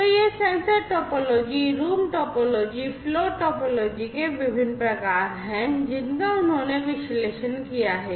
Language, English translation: Hindi, So, these are the different types of sensor topology, room topology, and flow topology, that they have analyzed